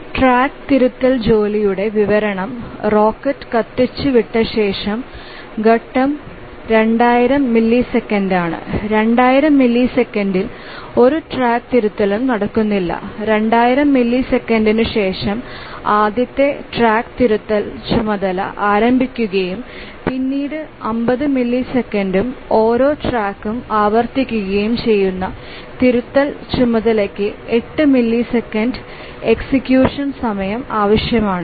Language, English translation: Malayalam, So, that's the description of this track correction task that the phase is 2,000 milliseconds after the rocket is fired for 2,000 milliseconds, no track correction takes place and after 2,000 milliseconds the first track correction task starts and then it requires after 50 milliseconds and each track correction task requires 8 milliseconds of execution time and the deadline for each task once it is released is also 50 milliseconds